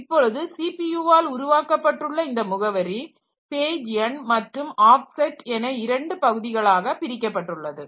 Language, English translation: Tamil, Now the address, the logical address generated by CPU it is divided into two parts, page number and page offset